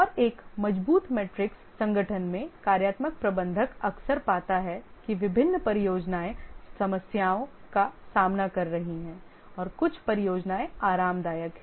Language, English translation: Hindi, And in a strong matrix organization, the functional manager often finds that different projects are facing problem and some projects are comfortable